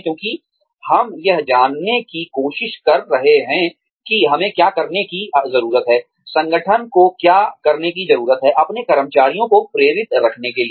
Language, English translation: Hindi, Because, we are trying to figure out, what we need to do, what the organization needs to do, to keep its employees, motivated